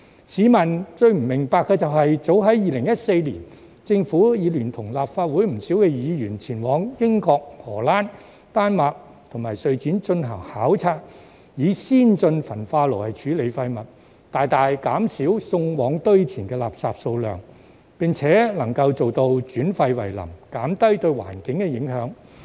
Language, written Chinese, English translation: Cantonese, 市民不明白的是，早於2014年，政府已聯同立法會不少議員前往英國、荷蘭、丹麥及瑞典進行考察以先進焚化爐處理廢物，大大減少送往堆填的垃圾數量，並能做到轉廢為能，減低對環境的影響。, What the public does not understand is that as early as in 2014 the Government together with many Members of the Legislative Council went to the United Kingdom the Netherlands Denmark and Sweden to study the use of advanced incinerators to treat waste which could greatly reduce the amount of waste sent to landfills transform waste into energy and reduce the impact on the environment